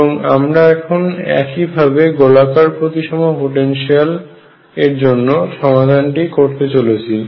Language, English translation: Bengali, We are going to do exactly the same thing for spherical potentials